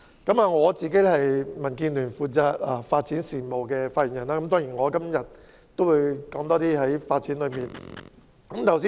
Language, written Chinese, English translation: Cantonese, 我是民主建港協進聯盟發展事務方面的發言人，所以今天的發言會較着重發展方面。, As I am the spokesperson of the Democratic Alliance for the Betterment and Progress of Hong Kong DAB on development affairs my speech today will focus more on development